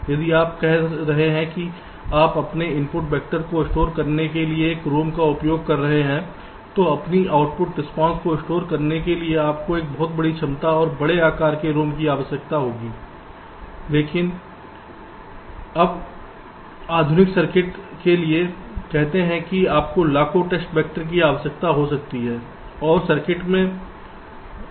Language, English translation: Hindi, if you are saying that you will be using a rom to store your input vector, to store your output response, you need ah rom of a very large capacity, large size, because for a modern this circuits circuits let say you made a requiring millions of test vectors and and in the circuit there can be hundreds of outputs